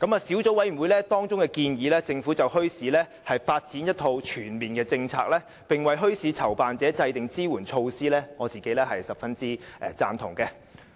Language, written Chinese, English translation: Cantonese, 小組委員會建議政府就墟市發展一套全面政策，並為墟市籌辦者制訂支援措施，對此我是十分贊同的。, The Subcommittee has recommended the Government to formulate a comprehensive policy on the development of bazaars and devise support measures for bazaar organizers . I strongly agree with these recommendations